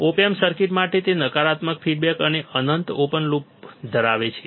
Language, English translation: Gujarati, For the op amp circuit, it is having negative feedback and infinite open loop